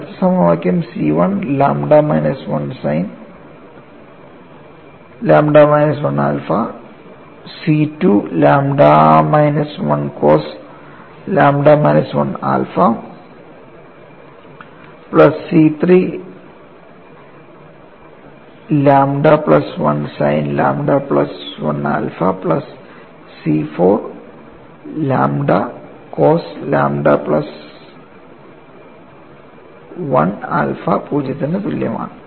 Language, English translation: Malayalam, The next equation is C 1 lambda minus 1 sin lambda minus 1 alpha C 2 multiplied by lambda minus 1 cos lambda minus 1 alpha plus C 3 lambda plus 1 sin lambda plus 1 alpha plus C 4 lambda plus 1 into cos lambda plus 1 alpha equal to 0